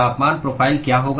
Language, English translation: Hindi, What will be the temperature profile